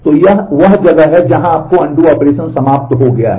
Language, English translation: Hindi, So, this is where your undo operation is over